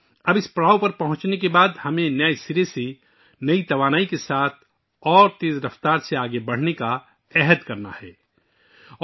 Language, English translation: Urdu, Now after reaching this milestone, we have to resolve to move forward afresh, with new energy and at a faster pace